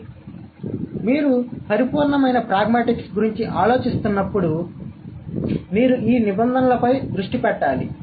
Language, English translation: Telugu, So, when you are thinking about pure pragmatics, you are, these are the terms that you need to focus on